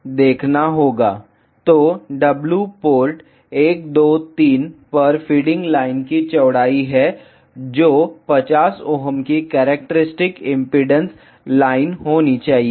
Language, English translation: Hindi, So, W is the Feeding line width at ports 1 2 3 which should be 50 ohm characteristic impedance lines